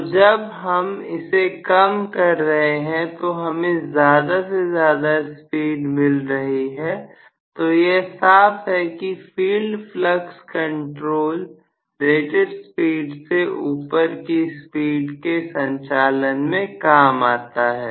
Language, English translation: Hindi, So, I decrease it I am going to get more and more speed, so very clearly, field flux control is used for above rated speed operation